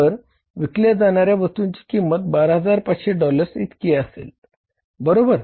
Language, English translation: Marathi, So the cost of goods sold will be, goods to be sold will be 12,500 worth of the dollars